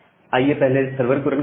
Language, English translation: Hindi, So, now let us first run the server